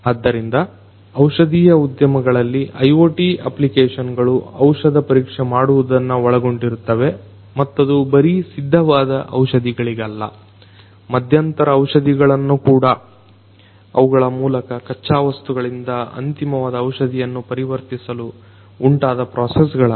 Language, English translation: Kannada, So, IoT applications in pharmaceutical industry includes examination of the drugs and not just the final drugs, but also the intermediate ones through which the processes that are incurred in between in order to transform these raw materials into the final drugs